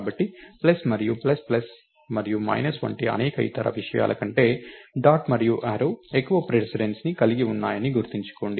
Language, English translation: Telugu, So, remember that dot and arrow has higher precedence over various other things like plus and plus plus and minus and so on, just keep that in mind